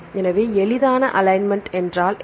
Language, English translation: Tamil, So, then what is simple alignment